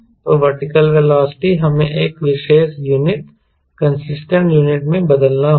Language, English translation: Hindi, so vertical velocity we have to convert into a particular unit, consistent unit